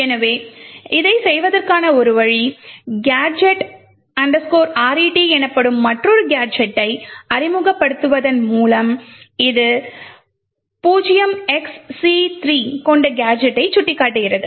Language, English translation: Tamil, So one way to do this is by introducing another gadget known as the gadget return which essentially points to a gadget containing just 0xc3